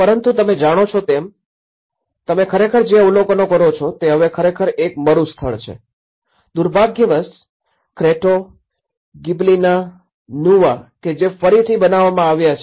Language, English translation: Gujarati, But the whole thing you know, what you actually observe is the whole thing is now a silence place, unfortunately, the Cretto and the Gibellina Nuova which have been rebuilt